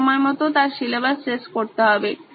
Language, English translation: Bengali, She has to finish her syllabus on time